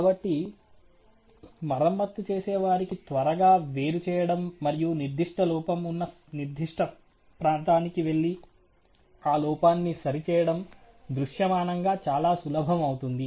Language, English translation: Telugu, So then visually it become very easy for the repair man to quickly isolate, and go to that particular area where the particular defect would be present and be able to repair